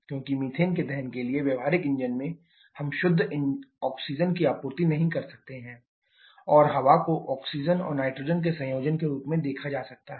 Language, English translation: Hindi, Because in practical engine to have the combustion of methane we cannot supply pure oxygen supply air and air can be visualised to be a combination of oxygen and nitrogen